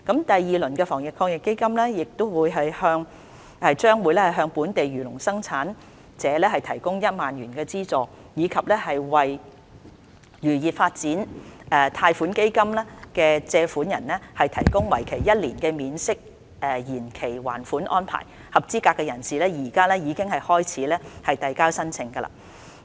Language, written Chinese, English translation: Cantonese, 第二輪的防疫抗疫基金亦將會向本地漁農生產者提供1萬元的資助，以及為"漁業發展貸款基金"的借款人提供為期一年的免息延期還款安排，合資格人士現已可以開始遞交申請。, Under the second round of the Fund a subsidy of 10,000 will be provided to local primary producers and arrangements for deferring the repayment and waiving the interest incurred for one year will be available for borrowers of loans under the Fisheries Development Loan Fund . Eligible persons can file their applications from now on